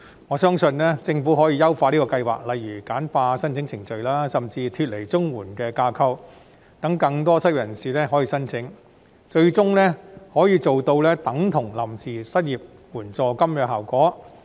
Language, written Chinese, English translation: Cantonese, 我相信，政府可以優化計劃，例如簡化申請程序，甚至將之脫離綜援的架構，讓更多失業人士可以申請，最終可以做到等同臨時失業援助金的效果。, I believe that the Government can refine the Scheme by for example streamlining the application procedures or even detaching it from the CSSA framework so as to enable more unemployed persons to apply . This will eventually achieve the same effect as a temporary unemployment assistance